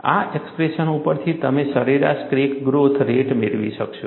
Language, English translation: Gujarati, From this expression, you would be able to get the average crack growth rate